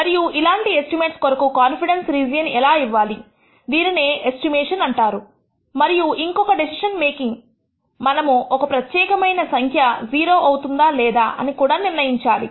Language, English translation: Telugu, And how do you give a confidence region for these estimates that is called estimation and the other kind of decision making that we want to do is; we want to judge whether particular value is 0 or not